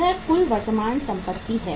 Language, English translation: Hindi, This is the total current assets